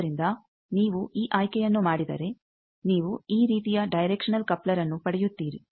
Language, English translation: Kannada, So, if you make this choice then you get directional coupler like this